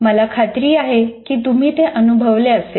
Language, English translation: Marathi, I'm sure you would have experienced that